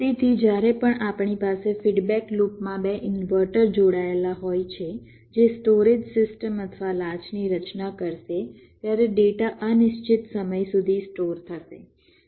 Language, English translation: Gujarati, so whenever we have two inverters connected in a feedback loop that will constitute a storage system or a latch, the data will be stored in